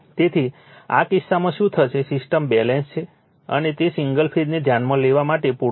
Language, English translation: Gujarati, So, in this case what happened, the system is balanced and it is sufficient to consider single phase right